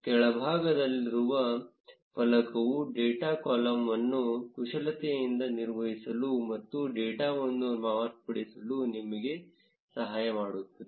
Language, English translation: Kannada, The panel at the bottom can help you manipulate data columns and modify the data